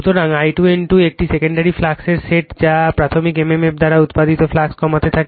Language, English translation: Bengali, So, your I 2 N 2 sets of a secondary flux that tends to reduce the flux produced by the primary mmf